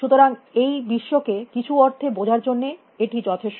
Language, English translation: Bengali, So, that is enough to understand the world in some sense